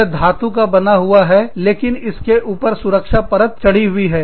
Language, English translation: Hindi, It is metallic, but it got a protective covering on it